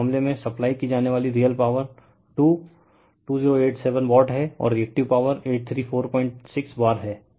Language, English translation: Hindi, So, in this case, the real power supplied is that two 2087 watt, and the reactive power is 834